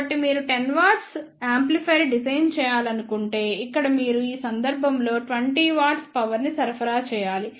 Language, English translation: Telugu, So, in case if you want to design a 10 watt of amplifier so here you need to supply 20 watt of power in this case